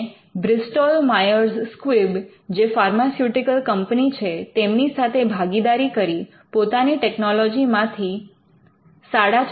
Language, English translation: Gujarati, It partnered with Bristol Myers Squib which is pharmaceutical company and it earned revenues of around 45 million for their technology